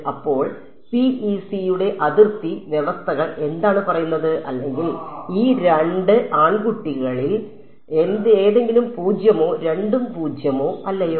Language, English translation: Malayalam, So, what are the boundary conditions what do boundary conditions for PEC say or any of these two guys zero or both are nonzero